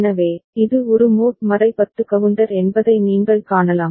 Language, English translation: Tamil, So, it is a mod 10 counter